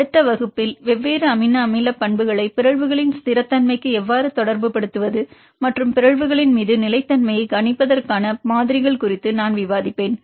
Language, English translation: Tamil, In the next class I will discuss one of the applications how to relate different amino acid properties to a stability of the mutations and the models to predict the stability upon mutations